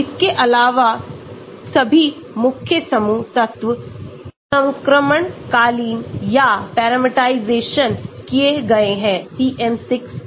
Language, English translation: Hindi, Beside that all main group elements are transitional or parameterized in PM6